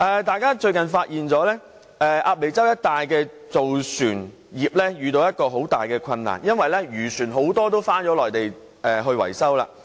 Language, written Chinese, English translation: Cantonese, 大家最近發現鴨脷洲一帶的造船業遇到一個很大的困難，因為很多漁船也轉到內地維修。, Recently we notice that the shipbuilding operations located in Ap Lei Chau are facing great difficulties as many fishing vessels have switched to the Mainland for repairs